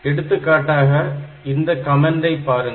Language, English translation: Tamil, For example, if you look into this comment